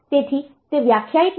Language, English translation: Gujarati, So, that is not defined